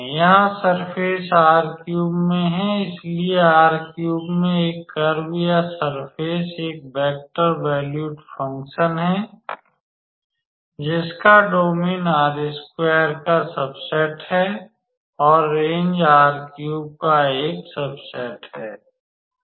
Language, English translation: Hindi, So, surface in R3, so a curve or a surface in R3 is a vector valued function whose domain is a subset of R2 and the range is a subset of R3, all right